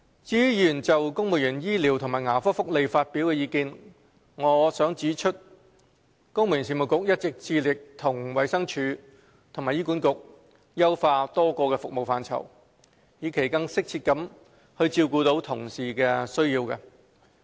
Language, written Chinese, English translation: Cantonese, 至於議員就公務員醫療和牙科福利發表的意見，我想指出，公務員事務局一直致力與衞生署及醫院管理局優化多個服務範疇，以期更適切地照顧同事的需要。, As regards the views expressed by Honourable Members on the medical and dental benefits for civil servants I would like to point out that the Civil Service Bureau has been striving to collaborate with the Department of Health and the Hospital Authority HA to fine - tune a number of programme areas in the hope that the needs of colleagues can be met in a more appropriate manner